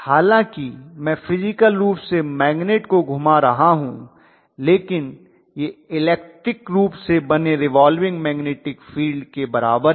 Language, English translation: Hindi, So although physically I am rotating the magnet it is equivalent to the electrically creating the revolving magnetic field, how does it matter